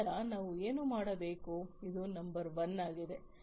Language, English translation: Kannada, Then we have to do what, this is number 1